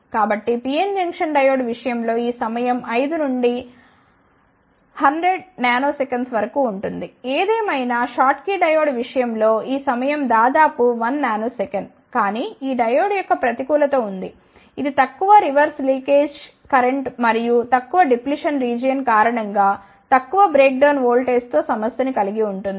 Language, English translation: Telugu, So, in case of PN Junction diode this time is around 5 to 200 nanoseconds ; however, in case of schottky diode this time is of the order of 1 Nano second , but there is a disadvantage of this diode, it suffers with the high reverse leakage current and low breakdown voltage, due to the low depletion region